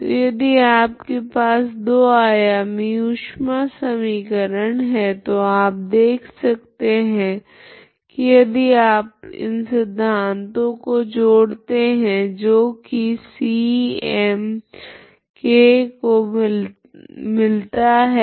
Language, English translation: Hindi, So if you have a two dimensional heat equation so you will see that if you combine this two it will involve C m and k, okay